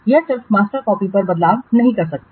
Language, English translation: Hindi, He cannot just do the change on the master copy